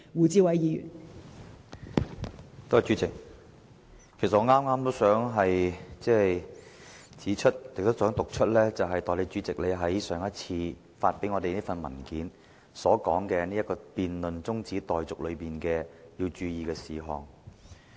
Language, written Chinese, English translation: Cantonese, 代理主席，其實我也想指出並讀出你在上次會議上發給我們的文件中所載，有關在辯論這項中止待續議案時須注意的事項。, Deputy President I would also like to point out and read aloud the points to be noted during the debate on this adjournment motion as set out in the paper you gave us at the last meeting